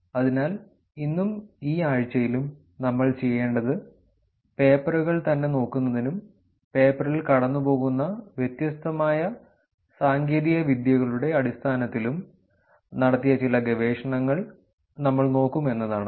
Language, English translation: Malayalam, So, what we will do today and in this week is that we will look at some of the research which was done in terms of just looking at the papers itself and going through the paper in terms of different techniques that are applied